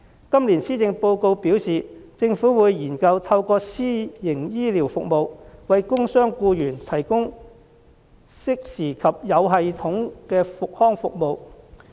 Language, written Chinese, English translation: Cantonese, 今年施政報告表示，政府會研究透過私營醫療服務，為工傷僱員提供適時及有系統的復康服務。, According to the Policy Address this year the Government will look into the provision of timely and well coordinated rehabilitation services for injured workers through private medical services